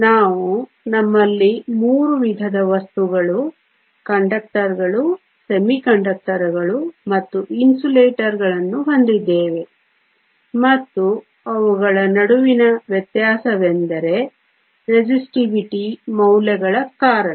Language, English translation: Kannada, We also said we have three types of materials, Conductors, Semiconductors and Insulators and the difference between them is because of the difference is the resistivity values